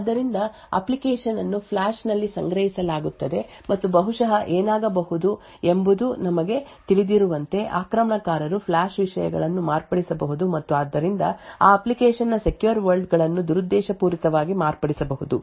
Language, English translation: Kannada, So, as we know that the application would be stored in the flash and what could possibly happen is that an attacker could modify the flash contents and therefore could modify the secure components of that application the function maliciously